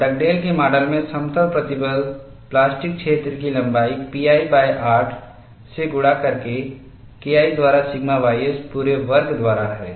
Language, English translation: Hindi, And in Dugdale’s model, the plane stress plastic zone length is pi by 8 multiplied by K 1 by sigma ys whole square